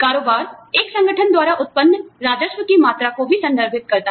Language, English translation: Hindi, Turnover also, refers to the amount of revenue, generated by an organization